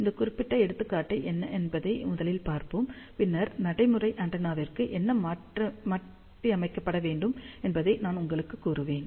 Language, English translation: Tamil, So, let us first see, what this particular example is, and then I will tell you what needs to be modified for practical antenna